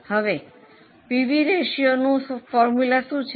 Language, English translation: Gujarati, Now, what's the formula of PV ratio